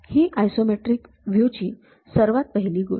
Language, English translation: Marathi, That is the first thing for isometric view